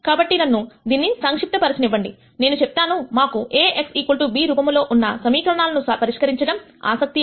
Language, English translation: Telugu, So, let me summarize this lecture, we said we are interested in solving equations of the form A x equal to b